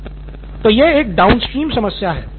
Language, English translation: Hindi, So that is one problem downstream